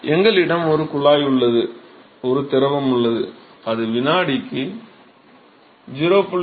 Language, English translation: Tamil, We have a tube and we have a fluid which is flowing through it 0